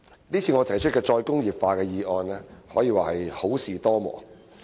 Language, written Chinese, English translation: Cantonese, 這次我提出的"再工業化"議案，可以說是好事多磨。, It can be said that my moving of this motion on re - industrialization was preceded by trials and tribulations